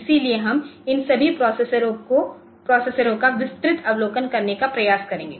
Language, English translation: Hindi, So, we will try to see a broad overview of all these processors